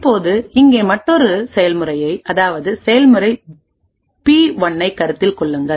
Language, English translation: Tamil, Now consider another process over here process P1